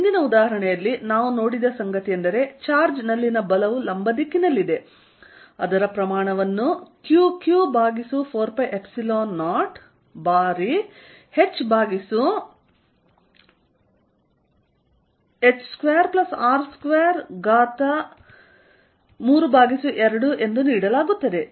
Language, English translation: Kannada, In the previous example, what we saw is that the force on the charge is in the vertical direction, it is magnitude is given by Q q over 4 pi epsilon 0 h over h square plus R square raise to 3 by 2